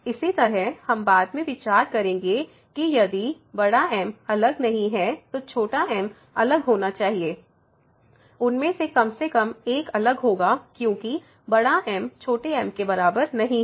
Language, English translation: Hindi, Similarly we will consider later on if is not different then the small should be different at least one of them will be different because is not equal to small